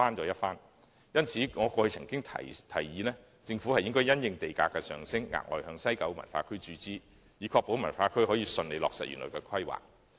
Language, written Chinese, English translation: Cantonese, 因此，我過去曾經建議，政府應該因應地價的上升，額外向西九文化區注資，以確保西九文化區得以順利落實原來的規劃。, This is why I once proposed that the Government make additional injections into WKCD having regard to the rise of land prices to ensure the smooth implementation of its original planning